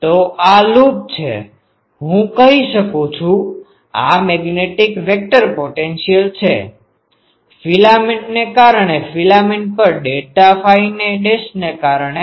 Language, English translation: Gujarati, So so this is the loop I can say this is ah the magnetic vector potential due to filament at due to filament delta phi dashed